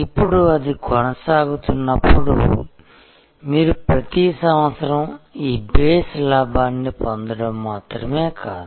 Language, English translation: Telugu, Now, as it goes on then it is not that only you get every year this base profit with the base profit